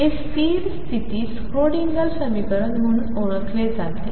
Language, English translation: Marathi, So, this is known as the Schrödinger equation, for stationary states